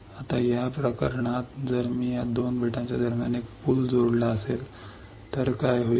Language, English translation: Marathi, Now in this case if I have a bridge right connected between these 2 islands and what will happen